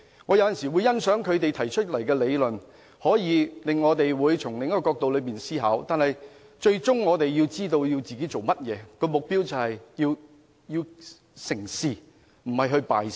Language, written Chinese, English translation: Cantonese, 我有時會欣賞他們所提的理論，可令我們從另一個角度思考，但最終我們也要知道自己的目標，就是要成事，而不是要敗事。, Sometimes I do appreciate their arguments which offer us an alternative angle but at the end of the day we have to stick with our goal that is the goal to get things done not kill things off